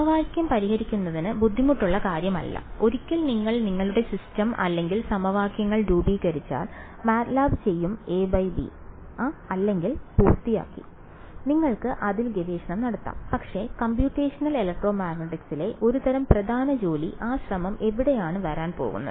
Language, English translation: Malayalam, This no solving the equation is not difficult; once you form your system or equations MATLAB does a slash b or done and you can do research in that, but as sort of core work in computational electromagnetic, where is that effort going to come in